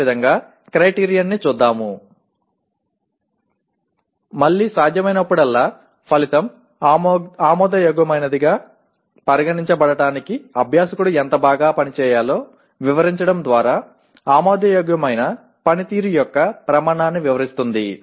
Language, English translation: Telugu, Again, whenever possible an outcome describes the criterion of acceptable performance by describing how well the learner must perform in order to be considered acceptable